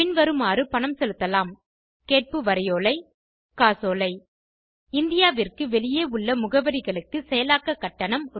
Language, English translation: Tamil, Payment can be made by Demand Draft Cheque For addresses outside India, the processing fee is Rs